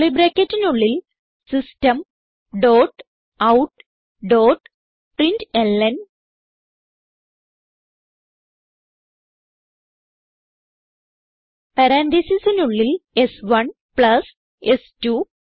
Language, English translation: Malayalam, Then within curly brackets System dot out dot println num1 plus num2